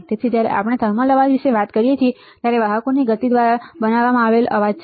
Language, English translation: Gujarati, So, when we talk about thermal noise right, it is noise created by the motion of the carriers